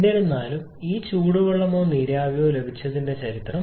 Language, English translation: Malayalam, However history of this getting this hot water or steam